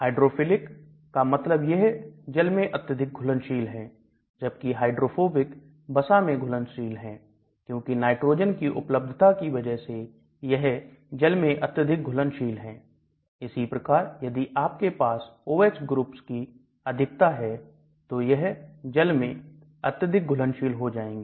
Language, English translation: Hindi, So hydrophilic means it is more water soluble, hydrophobic means is more lipid soluble; because of the presence of nitrogens it is highly water soluble similarly if you have lot of OH groups, hydroxyl groups it will become highly water soluble